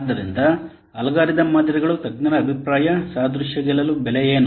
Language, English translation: Kannada, So, what about algorithm models, expert opinion, analogy, price to win